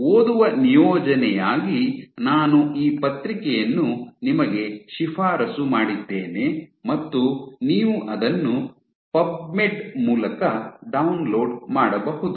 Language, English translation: Kannada, This paper I have also recommended you to read as a reading assignment you can download it through PubMed